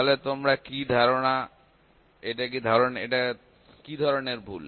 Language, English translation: Bengali, So, what do you think; what kind of error is this